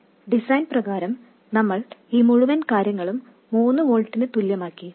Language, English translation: Malayalam, By design we made this entire thing become equal to 3 volts